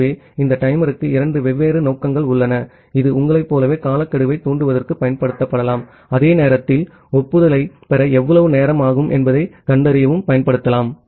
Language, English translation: Tamil, So, this timer have two different purpose like it can you it can be used to trigger the timeout and at the same time it can be used to find out that how much time it take to receive the acknowledgement